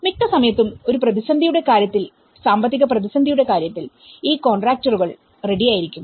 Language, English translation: Malayalam, So, most of the times whether in case of crisis in the case of economic crisis so these contractors will be ready